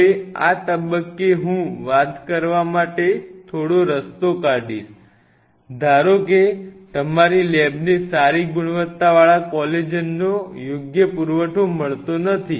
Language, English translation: Gujarati, Now, at this stage I will take a slight detour to talk about suppose your lab does not get a reasonable supply of good quality collagen